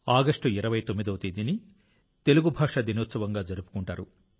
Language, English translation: Telugu, 29 August will be celebrated as Telugu Day